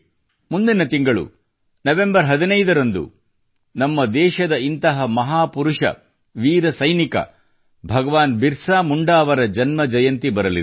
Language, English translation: Kannada, Next month, the birth anniversary of one such icon and a brave warrior, Bhagwan Birsa Munda ji is falling on the 15th of November